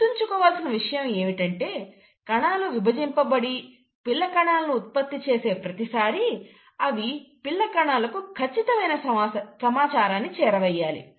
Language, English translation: Telugu, And one point to be noted, is that every time they divide and give rise to the daughter cell, they have to pass on the exact information to the daughter cell